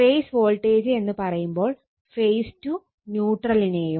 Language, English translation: Malayalam, Whenever we say phase voltage, it is phase to neutral right